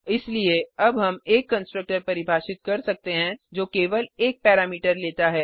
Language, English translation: Hindi, We can therefore now define a constructor which takes only one parameter